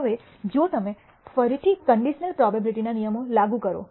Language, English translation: Gujarati, Now, if you apply again the rules of conditional probability